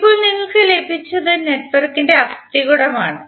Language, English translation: Malayalam, Now what we got is the skeleton of the network